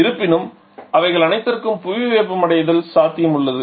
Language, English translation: Tamil, However global warming potential is there for all of them